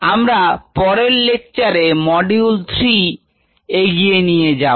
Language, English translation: Bengali, when we begin the next lecture we will take module three forward